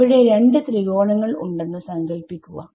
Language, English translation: Malayalam, So, imagine 2 triangles over there right